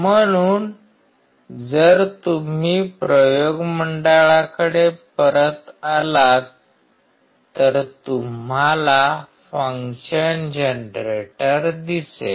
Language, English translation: Marathi, So, if you come back to the experiment board and you see the function generator